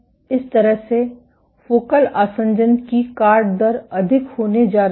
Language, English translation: Hindi, In that ways the chopping rate of focal adhesion is going to be higher